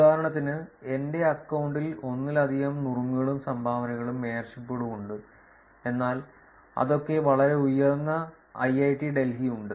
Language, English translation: Malayalam, So, for example, I have multiple tips and dones, mayorships in my account, but there is one which is very, very high which is IIIT Delhi for that matter